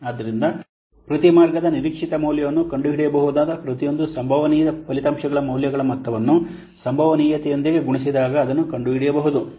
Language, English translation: Kannada, So the expected value of each path can be finding out, can be found out by taking the sum of the values of each possible outcomes multiplied by its probability